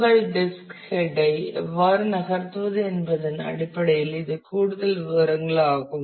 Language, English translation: Tamil, This is the more details in terms of how you move your disk head